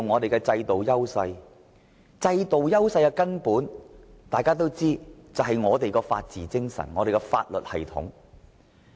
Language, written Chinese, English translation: Cantonese, 大家皆知道，香港在制度上的根本優勢便在於我們的法治精神和法律系統。, As Members all know Hong Kongs fundamental systemic advantages lie in our rule of law and legal system